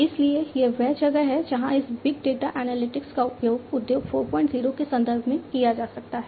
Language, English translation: Hindi, So, that is where this big data analytics could be used in the context of Industry 4